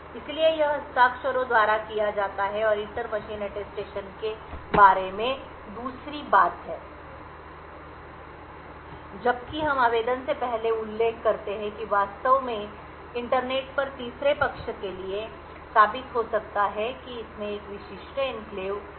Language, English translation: Hindi, So, this is done by the signatures and the second thing about the inter machine Attestation whereas we mention before the application could actually prove to a third party over the internet that it has a specific enclave